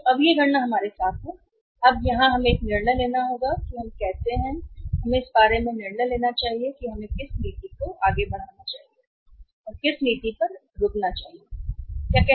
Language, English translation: Hindi, So, now all these calculations are with us, now we will have to take a decision here that how we have to decide about that where we should move which policy we should move from and we should stop at